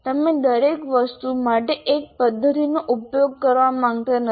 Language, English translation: Gujarati, You do not want to use one method for everything